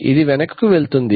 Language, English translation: Telugu, Does it go back